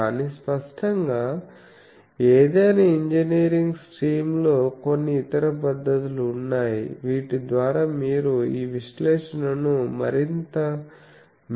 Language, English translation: Telugu, But, obviously, in an any engineering stream there are certain other techniques by which you can perform this analysis in a much better way